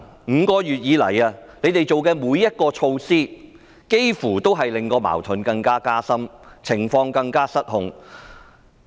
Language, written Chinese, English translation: Cantonese, 5個月以來，他們做的每項措施，幾乎都令矛盾加深、令情況更失控。, People were fighting each other . Over the past five months nearly every measure taken by them has deepened the conflicts making the situation even more out of control